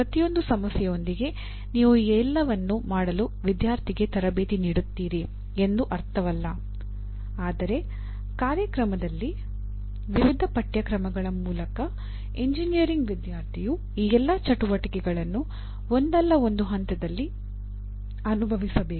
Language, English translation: Kannada, It does not mean that with every problem you train the student to do all these, but in the program through various courses a student, an engineering student should experience all these activities at some stage or the other